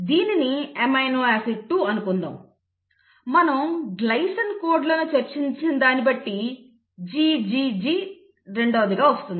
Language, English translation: Telugu, So let us say the amino acid is a glycine, the glycine can be coded by GGG or GGC